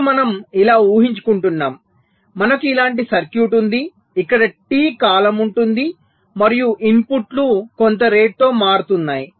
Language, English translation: Telugu, now our assumption is that we have a circuit like this where there is a period time, t, and the inputs are changing at some rate